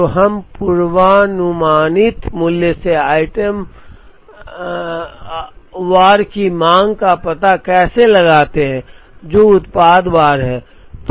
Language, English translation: Hindi, So, how do we find out the item wise demand from the forecasted value, which is product wise